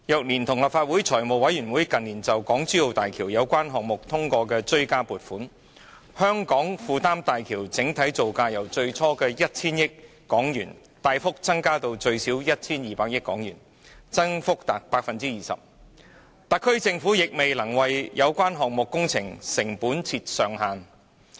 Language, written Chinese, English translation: Cantonese, 連同立法會財務委員會近年就港珠澳大橋相關項目通過的追加撥款，香港負擔大橋的整體造價由最初約 1,000 億港元大幅增加至最少 1,200 億港元，增幅達 20%， 特區政府卻未能為有關工程的成本定出上限。, Taking into account the supplementary provisions endorsed by the Finance Committee of the Legislative Council for the relevant projects of the Hong Kong - Zhuhai Macao Bridge in recent years the overall construction costs borne by Hong Kong have jumped 20 % from about 100 billion initially to at least 120 billion . Yet the Special Administrative Region SAR Government is unable to cap the costs of the relevant projects